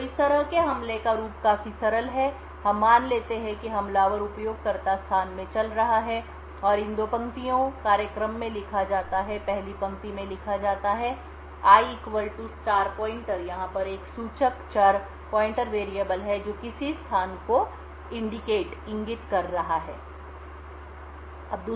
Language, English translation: Hindi, So the attack as such is quite simple the attacker we assume is running in the user space and has these two lines written in the program, the first line i equal to *pointer corresponds to something like this we have a pointer variable over here and let us assume that this point of variable is pointing to a location say this